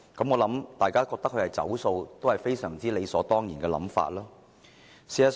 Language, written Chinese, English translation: Cantonese, 我認為，大家覺得他"走數"也是很理所當然。, I think it is natural that we regard him as having reneged on his promise